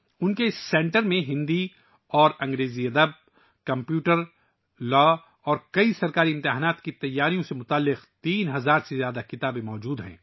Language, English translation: Urdu, , His centre has more than 3000 books related to Hindi and English literature, computer, law and preparing for many government exams